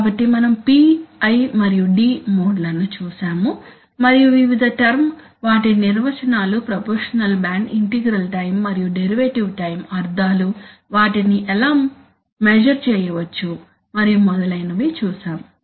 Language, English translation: Telugu, So we looked at the P, I, and D modes and looked at the various terms, their definitions proportional band, integral time and derivative time, the meanings, how they can be measured, so and so then